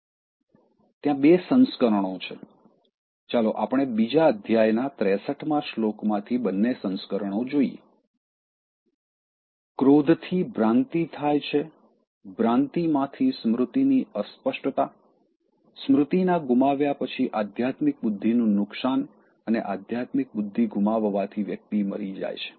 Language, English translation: Gujarati, There are two versions, let us look at both versions from the second chapter 63rd verse: “From anger delusion occurs; from delusion bewilderment of memory; after forgetfulness of memory; the loss of spiritual intelligence and losing spiritual intelligence one perishes